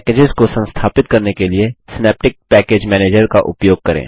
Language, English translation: Hindi, Use Synaptic Package Manager to install packages